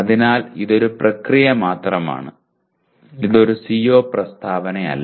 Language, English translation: Malayalam, So it is only a process and not themselves they are not it is not a CO statement